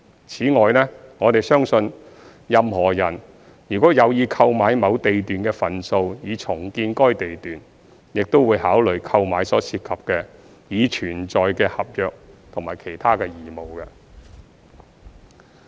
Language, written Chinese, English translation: Cantonese, 此外，我們相信任何人如有意購買某地段的份數以重建該地段，亦會考慮購買所涉及的已存在的合約及其他義務。, In addition we believe a person who intends to acquire shares of a lot for redevelopment would take into account pre - existing contractual and other obligations associated with the purchase